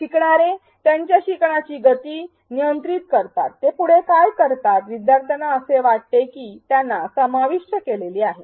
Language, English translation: Marathi, Learners control their pace of learning, what they do next; they feel included learners feel included